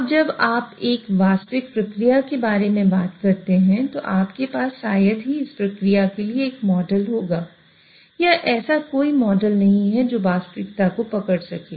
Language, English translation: Hindi, Now, when you talk about a real process, real industrial system, hardly you will have a model about the process or there is no such model which can capture the reality